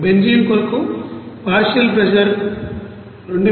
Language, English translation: Telugu, And partial pressure would be up for benzene is 2560